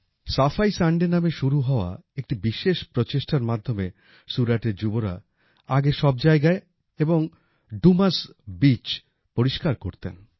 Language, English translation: Bengali, Under this effort, which commenced as 'Safai Sunday', the youth of Suratearlier used to clean public places and the Dumas Beach